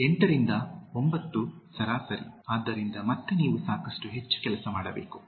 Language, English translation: Kannada, 8 to 9 is average, so again you can do plenty more